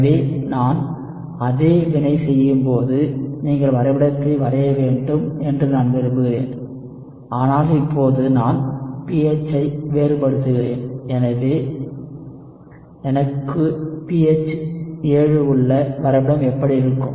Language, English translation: Tamil, So I want you to draw the plot when I do the same reaction, but now I am varying the pH, I have the pH at 7, what will the plot look like